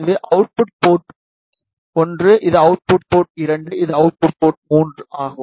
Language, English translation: Tamil, This is output port 1, this is output 2, and this is output 3